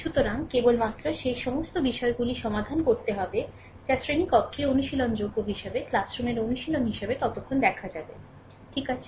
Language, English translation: Bengali, So, only we have only we have to solve those things which can be solvable in the classroom as a classroom exercise accordingly we will see, right